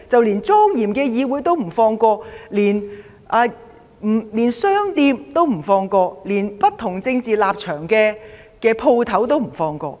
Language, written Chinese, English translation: Cantonese, 連莊嚴的議會也不放過、連商店也不放過、連不同政治立場的商店也不放過。, Not even this solemn Legislative Council was spared; not even the shops were spared; not even shops with different political stance were spared